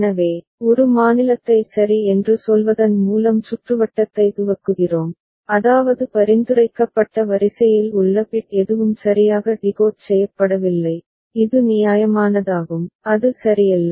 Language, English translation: Tamil, So, we initialize the circuit with a state say a ok, which means that none of the bit in the prescribed sequence is correctly decoded which is reasonable, is not it ok